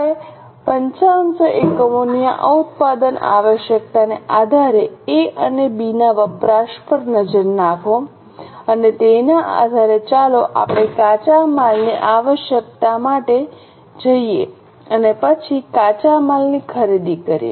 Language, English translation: Gujarati, Now based on this production requirement of 5,500 units, look at the consumption of A and B and based on that let us go for raw material requirement and then raw material purchase